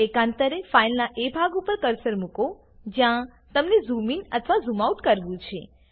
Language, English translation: Gujarati, Alternately, place the cursor over the part of the file that you need to zoom into or out of